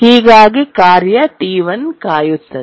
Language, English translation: Kannada, So, the task T1 waits